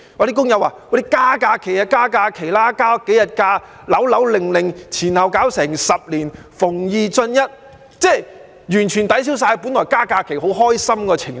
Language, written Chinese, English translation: Cantonese, 工友說局方只增加數天假期便"扭扭擰擰"，前後需要10年，"逢二進一"，完全抵銷本來增加假期很開心的情緒。, The workers complained that the Bureau has been indecisive about these few days of additional holidays and it intended to take a total of 10 years by increasing one additional day every two years . This has completely dampened peoples joy of having additional holidays